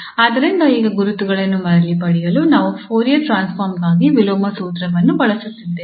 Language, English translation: Kannada, So what we now use the inversion formula for the Fourier transform to get back to these identities